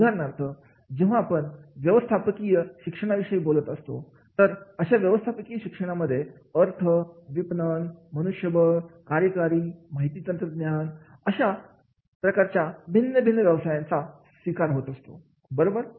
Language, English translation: Marathi, For example, when we talk about the management education, in management education, the different specialization, finance, marketing, HR, operations, IT, and therefore whatever the occupation you adopt